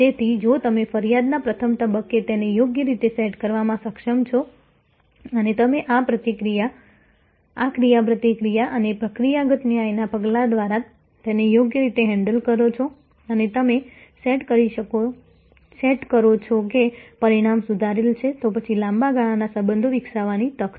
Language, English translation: Gujarati, So, if you are able to set it right at the very first point of complaint and you handle it properly through this interaction and procedural justice steps and you set the outcome is rectified, then, there is an opportunity to develop long term relationship